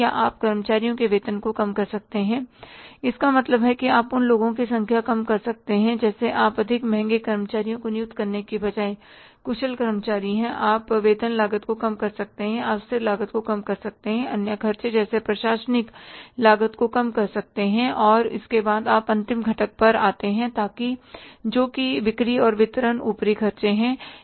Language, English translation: Hindi, Or any other administrative overheads you can control or you can, say, reduce the salaries of employees means you can keep the less number of the people who are efficient employees rather than employing more expensive employees you can have, you can reduce the salaries cost, you can reduce the stationary cost, you can reduce the other administrative costs and after that you come to the last component that is the selling and distribution overheads